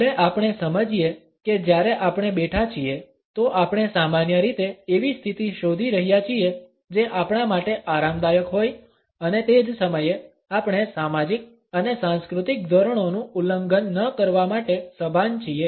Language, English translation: Gujarati, Even though we understand that while we sit; then we normally are looking for a position which is comfortable to us and at the same time we are conscious not to violate the social and cultural norms